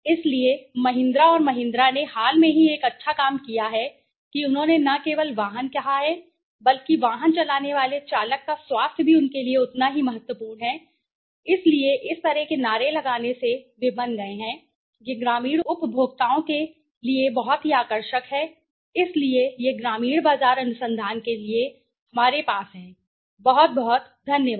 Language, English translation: Hindi, So, by doing such things Mahindra and Mahindra recently did one good thing they said not only the vehicle but the health of the driver who is running the vehicle is also equally important to them, so by having such slogans such things they have become they made it very attractive to the rural consumers so this is what we have for the rural market research, thank you very much